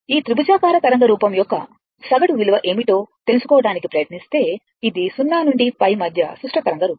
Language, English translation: Telugu, If you try to find out what is the average value of this triangular wave form ah, it is a symmetrical wave form in between 0 to pi right